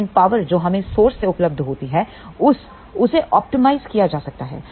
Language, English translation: Hindi, But power available from the source can be optimized